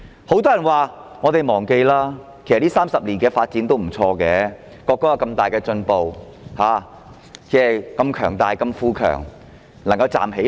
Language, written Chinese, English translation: Cantonese, 很多人叫大家忘記過去，表示國家在這30年的發展其實不錯，有很大的進步，如此強大、富強，終於可以站起來。, Many people ask us to forget the past saying that our country has actually undergone pretty good development over these 30 years . It has made great progress . Being powerful and rich it can finally stand up